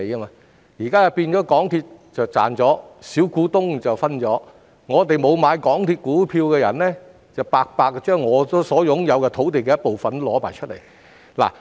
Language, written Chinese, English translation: Cantonese, 現在的情況是港鐵公司賺錢，小股東分享，而沒有買港鐵公司股票的人則連自己擁有的部分土地也奉上。, The present situation is that when MTRCL makes profits the minority shareholders would have a share but those who have not bought shares of MTRCL would have to surrender even the part of land they possess